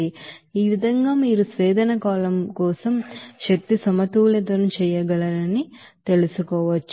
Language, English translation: Telugu, So in this way you can you know do the energy balance for the distillation column